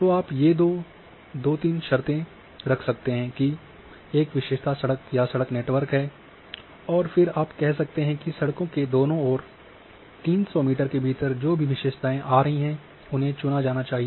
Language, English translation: Hindi, So, you are putting these two three conditions that there is a feature which is a road feature or either road network and then you are saying that whatever the features which are falling within 300 meter on both sides of roads should be selected